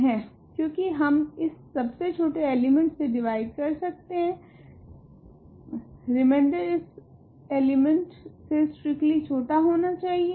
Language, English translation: Hindi, Because we can divide by this least element, the reminder is a number strictly less than this element